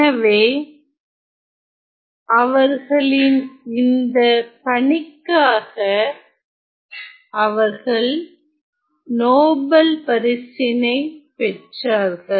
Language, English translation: Tamil, So, due to their work they received the Nobel Prize